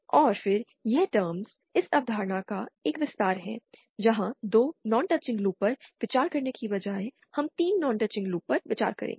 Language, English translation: Hindi, And then this term is an extension of this concept where instead of considering 2 non touching loops, we will be considering 3 non touching loops and so on